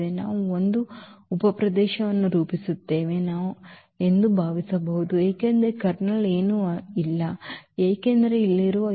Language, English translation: Kannada, We can think that they will form a subspace because the kernel was nothing but all the elements here which maps to 0